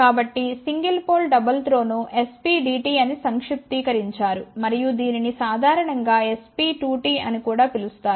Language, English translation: Telugu, So, single pole double throw is abbreviated as SPDT and also commonly known as SP2T